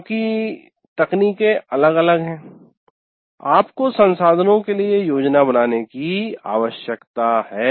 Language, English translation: Hindi, Now these days because of the technologies vary, you need to plan for resources